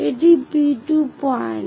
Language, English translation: Bengali, This is P2 point